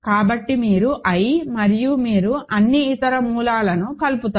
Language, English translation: Telugu, So, you adjoined i and you get all the other roots